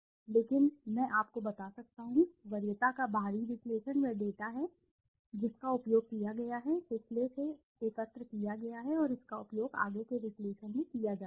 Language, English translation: Hindi, But yes I can tell you, the external analysis of preference is the data which has been used, collected from the past and that is being used in the further analysis